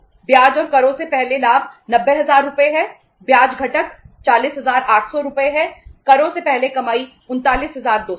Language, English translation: Hindi, Profit before interest and taxes 90000 Rs, Interest component is 40800 Rs